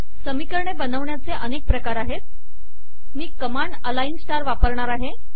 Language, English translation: Marathi, There are many ways to create equations, I will use the command align star to create equations